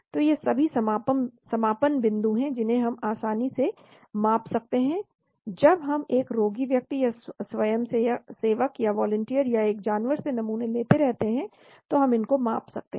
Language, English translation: Hindi, So all these are endpoints we can measure easily , when we keep taking samples from a subjective patient or volunteer or an animal and we can measure all these